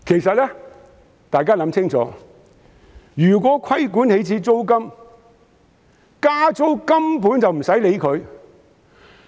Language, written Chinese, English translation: Cantonese, 請大家想清楚，如果規管起始租金，加租根本無須理會。, Just think if the initial rent is subject to regulation rent increase will not be an issue